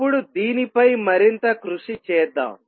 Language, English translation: Telugu, Let us now explore this a little further